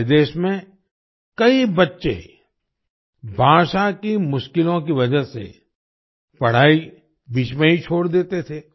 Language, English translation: Hindi, In our country, many children used to leave studies midway due to language difficulties